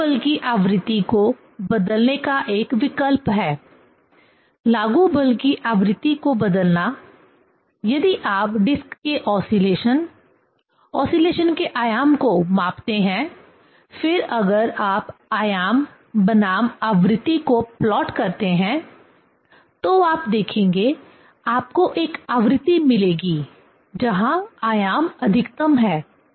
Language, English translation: Hindi, There is an option to change the frequency of the applied force; changing the frequency of the applied force, if you measure the oscillation, the amplitude of the oscillation of the disc, then if you plot the amplitude versus the frequency, then you will see, you will get a frequency where the amplitude is maximum